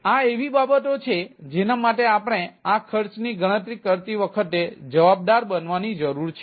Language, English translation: Gujarati, so those are other things which need to be accounted for when we calculate this cost